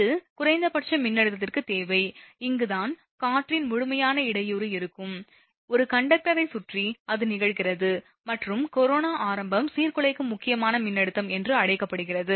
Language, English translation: Tamil, This is the minimum voltage require that, it will be here that there will be complete disruption of air, surround a conductor right it occurs and corona start is called the disruptive critical voltage